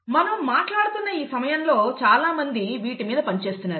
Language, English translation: Telugu, And as we speak, people are working on all these things